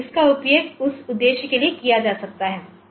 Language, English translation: Hindi, So, it can be used for that purpose